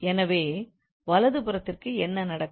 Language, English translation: Tamil, So, what would happen to the right hand side